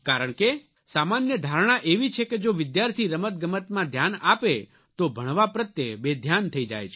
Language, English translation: Gujarati, People generally nurse the notion that if students indulge in sporting activities, they become careless about their studies